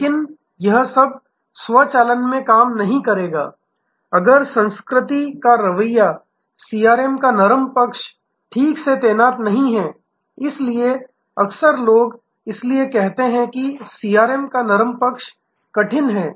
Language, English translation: Hindi, But, all that automation will not work if the culture attitude, the soft side of CRM is not properly deployed, so the often people say therefore, that the soft side of CRM is harder